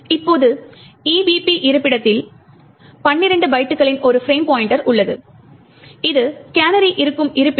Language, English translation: Tamil, Now at the location EVP that is a frame pointer minus 12 bytes is where the canary location is present